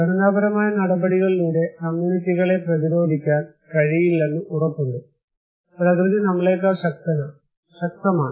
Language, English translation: Malayalam, But still it is sure that by structural measures, you cannot simply make communities resilient, nature is more powerful than you